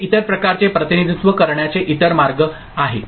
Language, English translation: Marathi, This is the other way, other form of representation